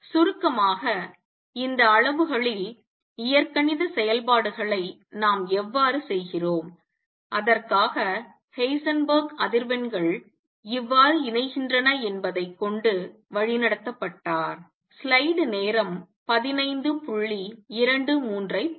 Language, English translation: Tamil, In short how do we perform algebraic operations on these quantities and for that Heisenberg was guided by how frequencies combine